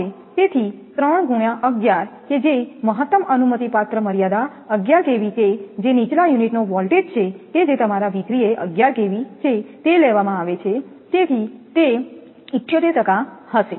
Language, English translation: Gujarati, So, 3 into 11 that maximum allowable limit 11 kV that is a lower unit voltage that is that your V 3 is 11 kV, it is taken, so it will be 78 percent